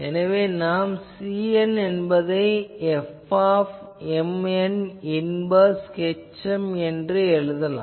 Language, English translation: Tamil, So, I can write C n as F m n inverse h m ok